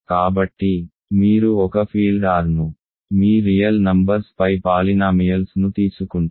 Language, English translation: Telugu, So, you take polynomials over one field R your real numbers